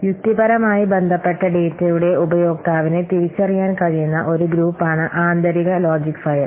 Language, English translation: Malayalam, So an internal logic file is a user identifiable group of logically related data